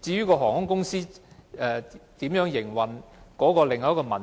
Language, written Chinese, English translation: Cantonese, 航空公司如何營運又是另一個問題。, The operation of airlines is another problem